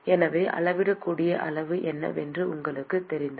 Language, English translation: Tamil, So, if you know what are the measurable quantity